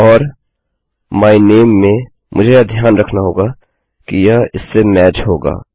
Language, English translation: Hindi, And, in my name, I better mind this has to match this